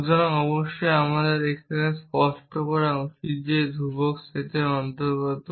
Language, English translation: Bengali, So, off course I should have clarify here the belongs to set constants